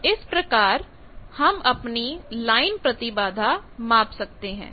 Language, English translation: Hindi, So, by this we can find the line impedance